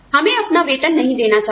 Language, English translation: Hindi, We should not pay our salaries